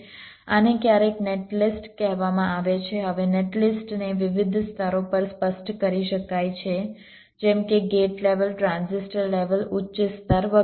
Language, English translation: Gujarati, now a net list can be specified at various level, like gate level, transistor level, higher level and so on